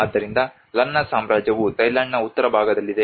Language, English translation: Kannada, So the Lanna Kingdom is in a northern part of the Thailand